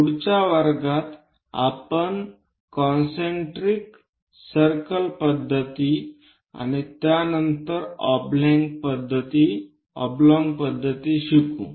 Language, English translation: Marathi, In the next class, we will learn about concentric circle method and thereafter oblong method